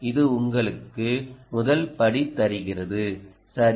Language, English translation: Tamil, it gives you the first cut right